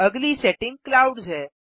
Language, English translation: Hindi, Next setting is Clouds